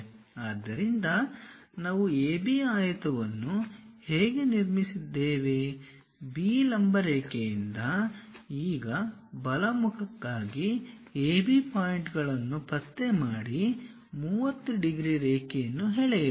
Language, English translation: Kannada, So, the way how we have constructed rectangle AB, draw a 30 degrees line on that locate AB points for the right face now from B perpendicular line